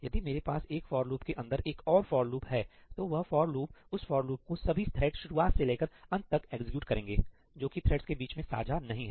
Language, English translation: Hindi, So, if I have a for loop inside the for loop, that for loop is, it is like a loop which is being executed by every thread from its start to end; that is not shared amongst the threads